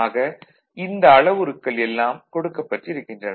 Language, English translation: Tamil, So, all these parameters are given